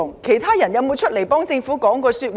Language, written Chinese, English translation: Cantonese, 其他官員可有站出來為政府說話？, Have other officials come forth to speak up for the Government?